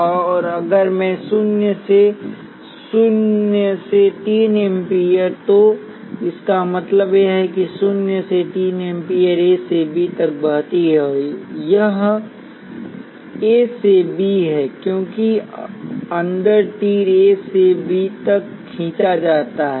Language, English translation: Hindi, And if I naught is minus 3 amperes, what it means is minus 3 amperes flows from A to B, it is A to B, because the arrow inside is drawn from A to B